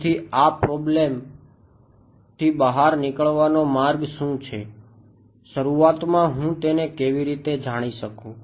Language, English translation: Gujarati, So, how will I what is the way out of this problem, how will I know it in the beginning